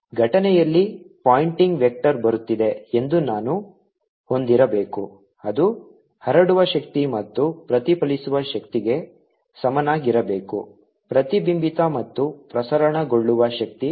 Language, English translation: Kannada, i should have the pointing vector is coming in incident should be equal to the energy which is transmitted plus the energy which is reflected, s reflected plus s transmitted